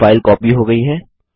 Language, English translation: Hindi, Now the file has been copied